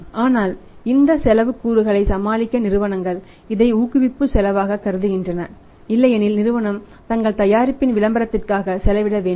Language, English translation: Tamil, But to deal with this cost component part companies normally treat it as the promotional cost because otherwise also the company has to spend on advertising of their product